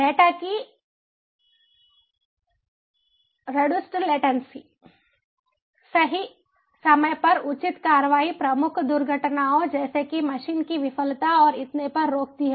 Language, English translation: Hindi, reduced latency of data, appropriate action at the time, right time, prevents major accidents such as machine failure and so on